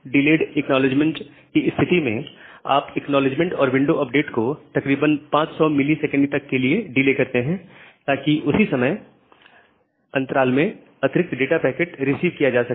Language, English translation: Hindi, So, in case of delayed acknowledgement, you delay the acknowledgement and window updates for up to some duration 500 millisecond in the hope of receiving few more data packets within that interval